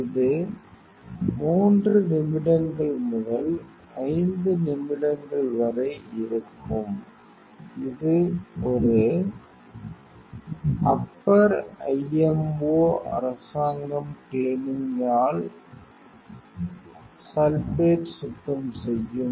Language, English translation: Tamil, So, it will up to 3 minutes to 5 minutes, it is an upper IMO government cleaning means your sulfate will cleaning, then